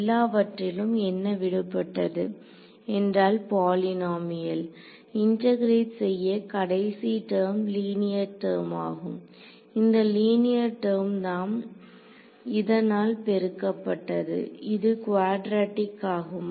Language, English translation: Tamil, So, all you are left with is a polynomial to integrate, over here for the last term will be a linear term this is a linear term multiplied by this will be quadratic right